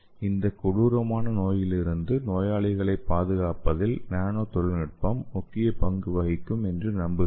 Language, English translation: Tamil, I hope this nanotechnology will play a major role in protecting the patients from this dreadful disease